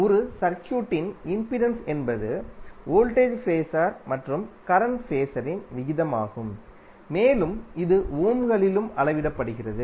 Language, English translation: Tamil, The impedance of a circuit is the ratio of voltage phasor and current phasor and it is also measured in ohms